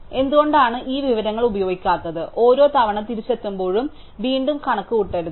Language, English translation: Malayalam, So, why do not we make use of this information and not recomputed each time we come back